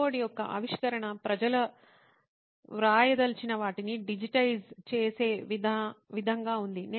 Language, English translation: Telugu, The invention of keyboards was so as or so that people could digitize what they wanted to write